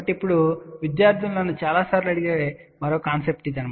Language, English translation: Telugu, So now, this is the another concept which lot of times students ask me